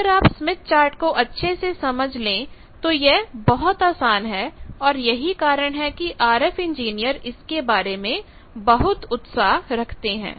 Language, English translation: Hindi, If you understand smith chart clearly this is very easy, that is why RF engineers are very passionate about using smith chart